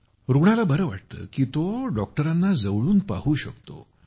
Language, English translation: Marathi, The patient likes it because he can see the doctor closely